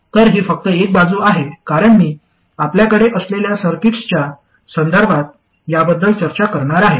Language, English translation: Marathi, So this is just an aside because I am going to discuss this with respect to the circuits that we already have